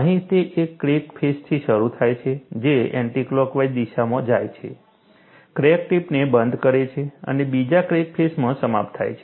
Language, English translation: Gujarati, Here, it starts from one crack face, goes in an anticlockwise direction, encloses the crack tip and ends in the other crack face